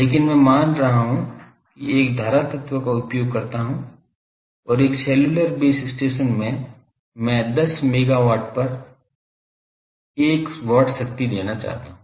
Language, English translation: Hindi, But I am considering suppose I use an current element and in a cellular base station I want to give 1 watt of power at 10 megahertz